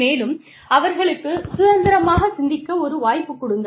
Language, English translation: Tamil, And, give them a chance to think independently